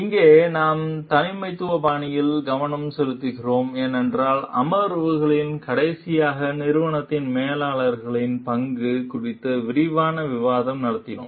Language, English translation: Tamil, Here we are focusing on the leadership styles, because in last one of the sessions, we had an extensive discussion about the role of managers in the organization